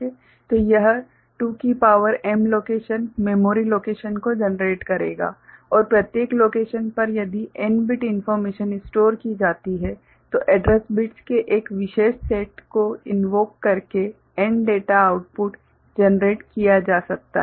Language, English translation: Hindi, So, this will generate 2 to the power m locations memory locations right and in each location if n bit information is stored so, n data outputs can be generated by invoking a particular set of address bits ok